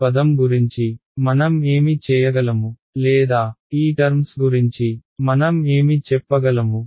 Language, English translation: Telugu, What can I do about these term or what can I say about these terms